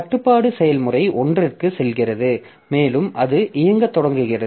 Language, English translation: Tamil, So, the control goes to process one and it starts executing